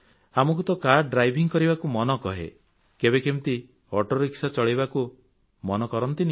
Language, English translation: Odia, You want to learn to drive a car but then do you ever want to learn how to drive an autorickshaw